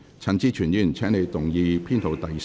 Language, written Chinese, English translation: Cantonese, 陳志全議員，請你動議編號3的修正案。, Mr CHAN Chi - chuen you may move Amendment No . 3